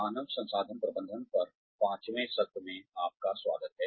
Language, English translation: Hindi, Welcome back, to the Fifth Session, on Human Resources Management